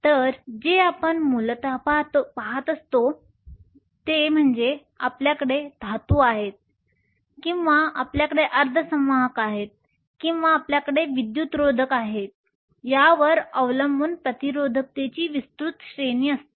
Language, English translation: Marathi, So, what we essentially see is a wide range of resistivity depending upon whether you are the metal or you have a semiconductor or you have an insulator